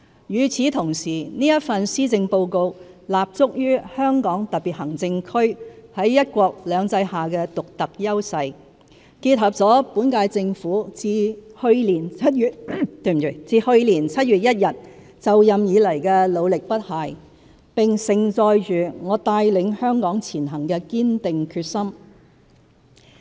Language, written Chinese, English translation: Cantonese, 與此同時，這份施政報告立足於香港特別行政區在"一國兩制"下的獨特優勢，結合了本屆政府自去年7月1日就任以來的努力不懈，並盛載着我帶領香港前行的堅定決心。, Building on the Hong Kong Special Administrative Regions HKSAR unique strengths under one country two systems and combining with the current - term Governments unflagging efforts since assuming office on 1 July last year this Policy Address carries my unswerving determination in leading Hong Kong to strive forward